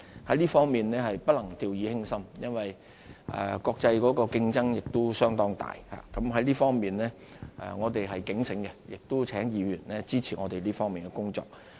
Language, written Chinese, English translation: Cantonese, 在這方面是不能掉以輕心，因為國際的競爭相當大，在這方面我們是警醒的，亦請議員支持我們這方面的工作。, Given the fierce international competition this task must not be taken lightly . We are well aware of the relevant challenges and call for Members support in this respect